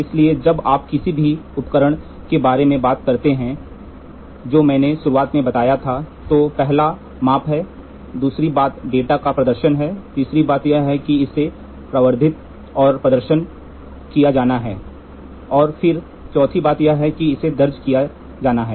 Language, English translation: Hindi, So, when you talk about any device to the instrument I covered in the beginning itself instrument first is measurement, second thing is display of the data, the third thing is it has to be amplified and displayed, and then 4th thing is it has to be recorded